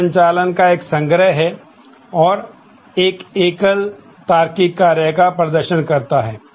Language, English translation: Hindi, It is a collection of operations and performs a single logical function